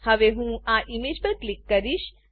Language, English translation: Gujarati, I will click on this image now